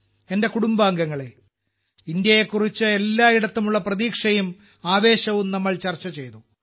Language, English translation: Malayalam, My family members, we just discussed the hope and enthusiasm about India that pervades everywhere this hope and expectation is very good